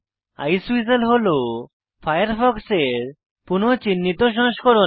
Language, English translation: Bengali, Iceweasel is the re branded version of Firefox